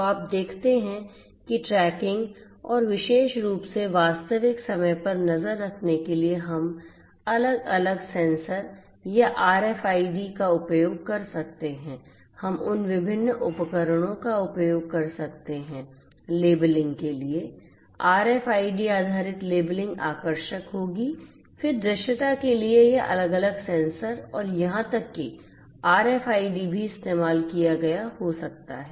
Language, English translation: Hindi, So, you see that for tracking and particularly real time tracking we can use different sensors or RFIDs we could use those different devices, for labeling you know RFIDs, RFID based labeling would be attractive then for visibility again this sensors different sensors and even the RFIDs could also be used